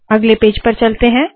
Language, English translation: Hindi, So lets go to the next page